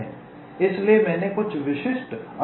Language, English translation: Hindi, so i have shown some typical interconnections